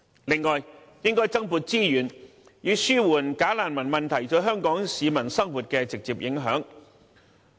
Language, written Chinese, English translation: Cantonese, 此外，應增撥資源，以紓緩"假難民"問題對香港市民生活的直接影響。, Moreover the Government should provide more resources to alleviate the direct impact of the problem of bogus refugees on Hong Kong peoples everyday life